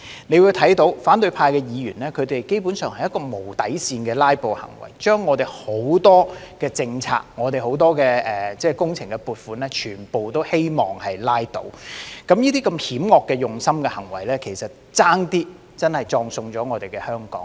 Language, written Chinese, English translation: Cantonese, 大家會看到，反對派議員基本上是無底線的"拉布"行為，把我們很多政策及工程撥款全都希望拉倒，這些如此用心險惡的行為險些葬送了香港。, It was evident to all that opposition Members literally filibustered without a bottom line hoping to scupper many of our policies and works funding . Such malicious behaviour nearly killed Hong Kong